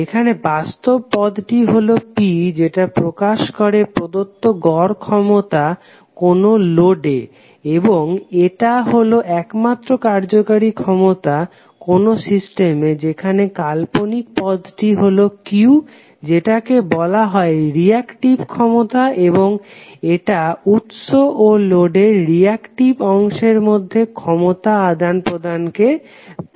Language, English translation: Bengali, So here the real term is P which represents the average power delivered to the load and is only the useful power in the system while the imaginary term Q is known as reactive power and represents the energy exchange between source and the reactive part of the load